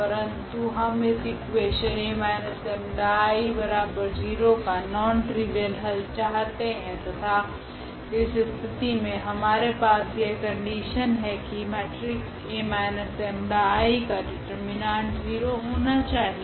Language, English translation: Hindi, But, we are looking for a non trivial solution of this equation A minus lambda I x is equal to 0 and in that case we have this condition that this determinant of this A minus lambda I matrix this must be 0